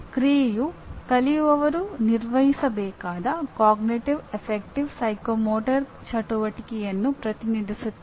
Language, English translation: Kannada, Action represents Cognitive, Affective, Psychomotor activity the learner should perform